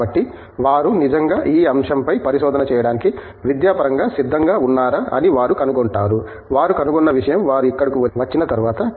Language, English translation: Telugu, So, they find out whether they are actually prepared academically to do research in this topic, is something that they find out, only after they come here so